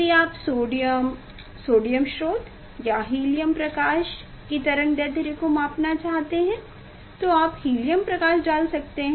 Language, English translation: Hindi, for other if you want to measure the wavelength of sodium sodium source or helium, if you want to measure the wavelength of helium light